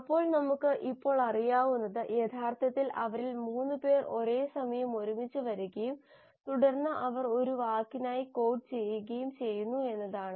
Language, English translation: Malayalam, So what we know now is that actually there are 3 of them who come together at a time and then they code for a word